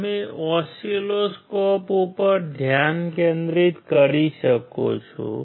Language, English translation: Gujarati, You can focus on the oscilloscope